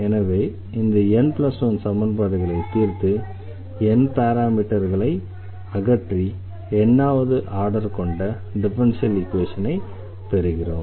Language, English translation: Tamil, So, here by eliminating this from this n plus 1 equations we will obtain a differential equation of nth order